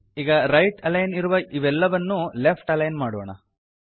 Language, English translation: Kannada, Right now it is right aligned let me make them left aligned